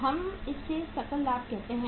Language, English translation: Hindi, We call it as gross profit